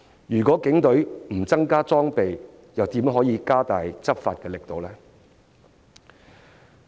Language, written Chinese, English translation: Cantonese, 如果警隊不增加裝備，又如何加大執法力度呢？, How can the Police strengthen law enforcement without more equipment?